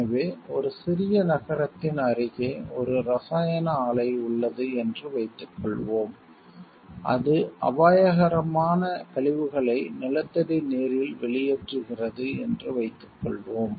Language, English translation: Tamil, So, let us assume like there is a chemical plant near a small city that discharges the hazardous waste into then groundwater